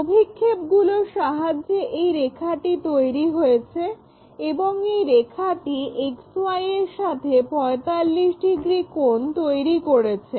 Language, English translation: Bengali, So, this is the line so, the way we do is projections if we are making it, it made a line and that is making 45 degrees angle with XY